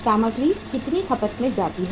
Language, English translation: Hindi, How much is the material consumed